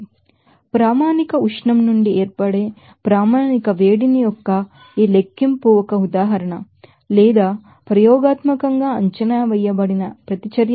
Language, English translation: Telugu, Let us do an example for this calculation of standard heat of formation from the standard heat up generation or absorption by reaction that is experimentally estimated